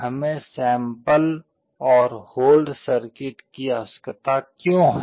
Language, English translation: Hindi, Why do we need sample and hold circuit